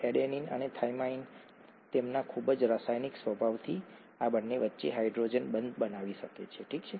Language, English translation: Gujarati, Adenine and thymine by their very nature, by the very chemical nature can form hydrogen bonds between these two, okay